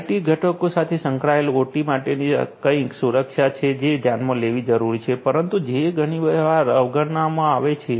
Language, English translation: Gujarati, Security for OT integrated with IT components is something that is required to be considered, but is often ignored